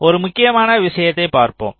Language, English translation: Tamil, now this is an important point